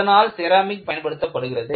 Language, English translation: Tamil, And, ceramics are being used